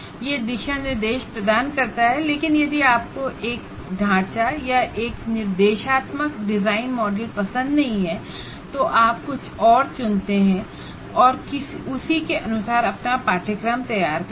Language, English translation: Hindi, It provides guidelines, but if you don't like one particular framework or one instructional design model as we call it, you choose something else and design your course according to that